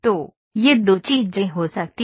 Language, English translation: Hindi, So, these two things can happen